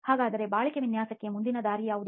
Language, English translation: Kannada, So what are the way forward for durability design